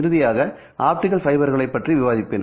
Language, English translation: Tamil, Finally, I will discuss optical fibers